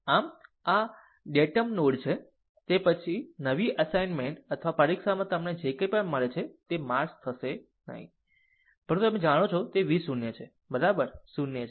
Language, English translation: Gujarati, So, this is your datum node, it it will in that new assignments or exam whatever you get this thing will not be mark, but you know that it it is v 0 is equal to 0